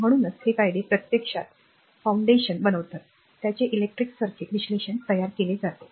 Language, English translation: Marathi, So, these laws actually form the foundation upon which the electric circuit analysis is built